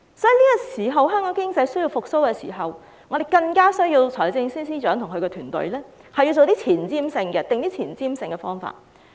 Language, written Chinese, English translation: Cantonese, 因此，在香港經濟需要復蘇的時候，我們更加需要財政司司長及其團隊制訂一些具前瞻性的措施。, This being the case when Hong Kongs economy is in need of recovery we have to count on the Financial Secretary and his team to formulate some forward - looking measures